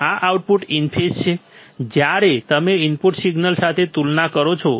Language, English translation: Gujarati, This is output, is in phase when you compare with the input signal